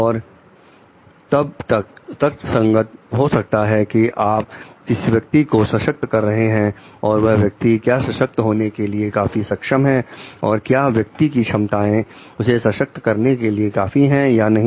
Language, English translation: Hindi, And then it comes very logically to whom am I empowering is the person competent enough to get empowered has the person capacity enough to get empowered or not